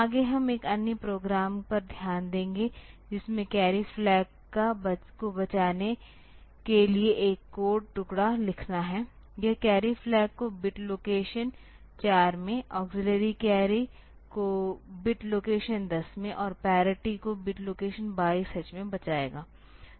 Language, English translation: Hindi, Next we will look into another program which is to write a code fragment to save the carry flag; it will save the carry flag in bit location 4, auxiliary carry in bit location 10 and parity in bit location 22 H